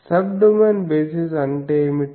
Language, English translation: Telugu, What is sub domain basis